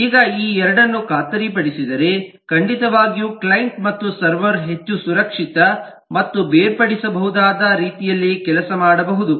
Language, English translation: Kannada, now these two are guaranteed, then certainly the client and the server can work in a lot more safe and segregable manner